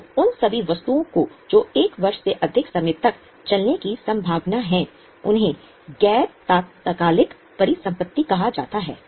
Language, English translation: Hindi, So all those items which are likely to last for more than one year are called as non current